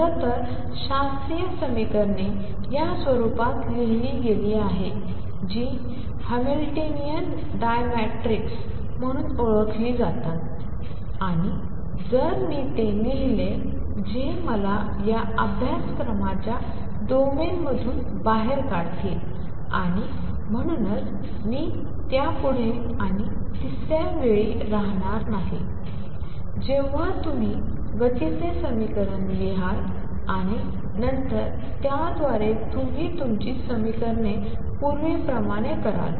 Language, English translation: Marathi, In fact, the classical equations are written in the form which is known as Hamiltonian dynamics and if I write those that will take me out of the domain of this course and therefore, I am not going to dwell on that any further and third when you write the equation of motion and then through that you start doing your equations as was done earlier